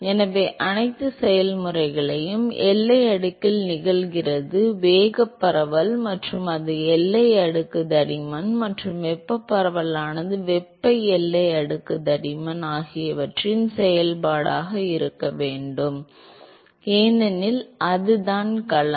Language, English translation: Tamil, So, all the process is the momentum diffusion is occurring in the boundary layer and it has to be a function of the boundary layer thickness and the thermal diffusivity has to be a function of the thermal boundary layer thickness, because that is the domain in which these two processes are occurring